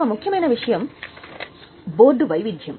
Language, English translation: Telugu, One important issue is board diversity